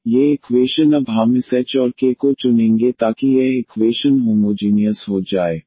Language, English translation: Hindi, So, these equation we will choose now this h and k so that this equation becomes homogeneous